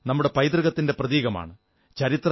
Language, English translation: Malayalam, Forts are symbols of our heritage